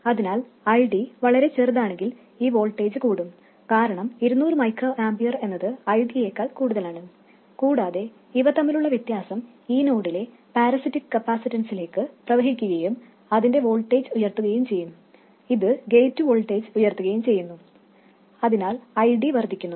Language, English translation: Malayalam, So if ID is too small, this voltage will rise because 200 microamper is more than ID and the difference will flow into the parasitic capacitance at this node, raising its voltage, which raises the gate voltage, so ID increases and so on